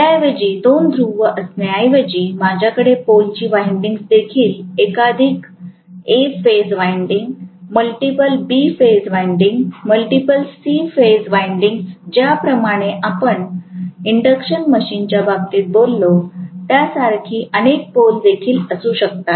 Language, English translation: Marathi, Instead, of having two poles I can also have multiple number of poles in which case the stator winding will also have multiple A phase winding, multiple B phase winding, multiple C phase winding like what we talked about in the case of induction machine